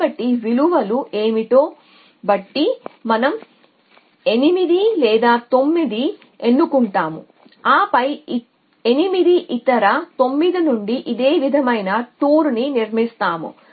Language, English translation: Telugu, So, depending on what the values are we will choose the 8 or 9 in then construct the 2 of a from 8 other 9 in a similar